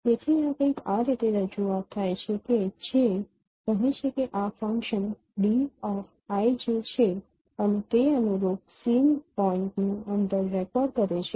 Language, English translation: Gujarati, So the representation is something like this that say consider this function say D IJ and it records the distance of the corresponding scene point